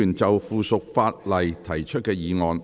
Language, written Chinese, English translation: Cantonese, 議員就附屬法例提出的議案。, Members motion on subsidiary legislation